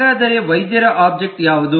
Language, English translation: Kannada, so what is the doctor object